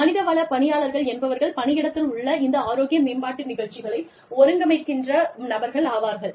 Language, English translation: Tamil, Human resources personnel are the people, who are organizing, these workplace health promotion programs